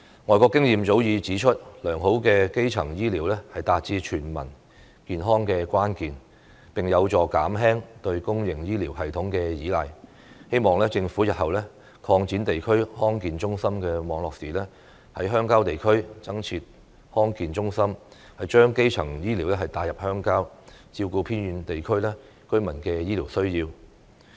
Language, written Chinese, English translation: Cantonese, 外國經驗早已指出，良好的基層醫療是達致全民健康的關鍵，並有助減輕對公營醫療系統的依賴，希望政府日後擴展地區康健中心網絡時，在鄉郊地區增設康健中心，將基層醫療帶入鄉郊，照顧偏遠地區居民的醫療需要。, The experience of foreign countries has long proved that excellent primary health care is crucial to achieving health for all and is conducive to minimizing the reliance on public health care services . I hope that the Government will when expanding the network of district health centres in the future set up health centres in rural areas so as to bring primary health care to rural areas and cater to the health care needs of residents of remote areas